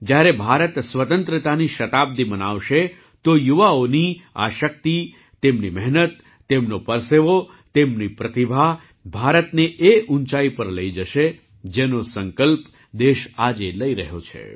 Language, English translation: Gujarati, When India celebrates her centenary, this power of youth, their hard work, their sweat, their talent, will take India to the heights that the country is resolving today